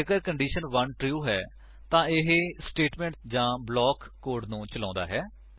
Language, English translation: Punjabi, If condition 1 is true, it executes the statement or block 1 code